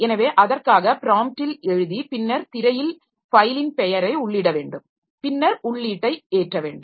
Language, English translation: Tamil, So, for that we need to write a right prompt to the screen like enter file name and then accept the input